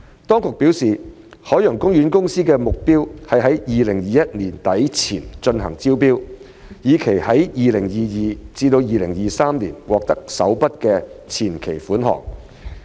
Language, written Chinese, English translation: Cantonese, 當局表示，海洋公園公司的目標是在2021年年底前進行招標，以期在 2022-2023 年度獲得首筆前期款項。, The authorities have advised that OPC targets to launch the tendering exercise by the end of 2021 with the aim of receiving the first upfront payment in 2022 - 2023